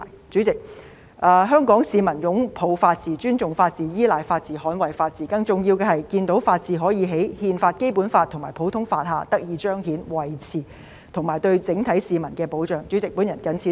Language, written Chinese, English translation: Cantonese, 主席，香港市民擁抱法治、尊重法治、依賴法治、捍衞法治，更重要的是看到法治可以在憲法、《基本法》和普通法下得以彰顯和維持，以及對整體市民提供保障。, President the people of Hong Kong embrace the rule of law respect the rule of law count on the rule of law and uphold the rule of law and most importantly they hope to see that the rule of law can be manifested and upheld under the Constitution the Basic Law and the common law and can provide protection for all the citizens